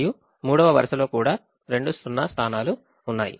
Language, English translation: Telugu, the third one would also have two zeros